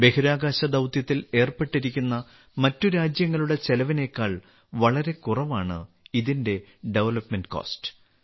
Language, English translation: Malayalam, Its development cost is much less than the cost incurred by other countries involved in space missions